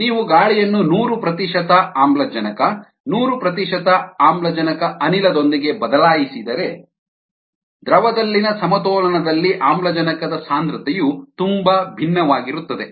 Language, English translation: Kannada, if you replace air with hundred percent oxygen, hundred oxygen gas, the oxygen concentration at equilibrium in the liquid is going to be very different